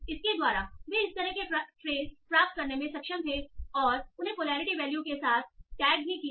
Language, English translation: Hindi, So by that they were able to obtain such phases and also tag them with their polarity values